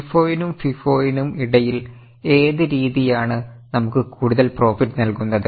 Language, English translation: Malayalam, Now, between LIFO and FIPO, which method will give you more profit